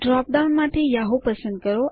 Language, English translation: Gujarati, Select Yahoo from the drop down box